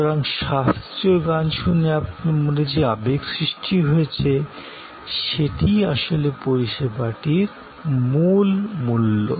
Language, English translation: Bengali, So, the emotion evoked in your mind, hearing a classical recital is actually the core value deliver by the service